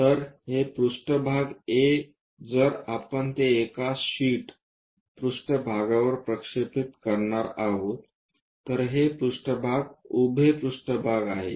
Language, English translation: Marathi, So, this plane A if we are going to project it on a sheet plane, this plane is a vertical plane